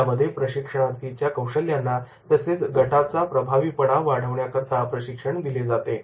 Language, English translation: Marathi, Training is directed at improving the trainees skills as well as the team effectiveness